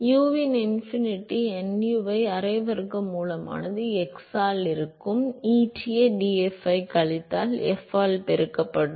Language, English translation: Tamil, So, there will be half square root of u infinity nu by x, multiplied by eta df by deta minus f